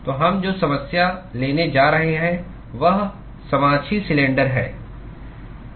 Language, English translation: Hindi, So, the problem we are going to take is coaxial cylinder